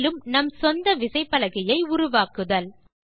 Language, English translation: Tamil, Create your own keyboard